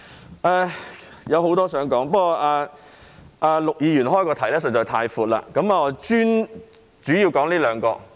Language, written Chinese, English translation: Cantonese, 我還有很多事情想說，但陸議員的議題實在太闊，我主要說這兩項。, I still have a lot of things to say but the subject of Mr LUKs motion is really too broad . I have talked mainly on these two items